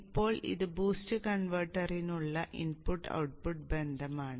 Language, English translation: Malayalam, Now this is the input output relationship for the boost converter